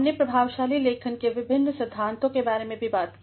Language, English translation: Hindi, We have also talked about the various principles of effective writing